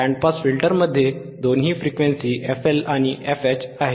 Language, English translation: Marathi, Band Pass this one band pass band pass has two frequencies FL FH